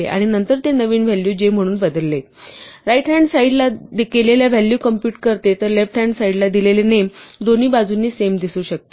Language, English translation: Marathi, This is an assignment statement, this equality assigns the value computed form the right hand side given the current values of all the names if the name given on the left hand side, with the same name can appear on both sides